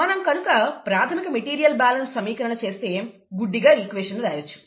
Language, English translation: Telugu, If we do that, the basic material balance equation, this equation can be blindly written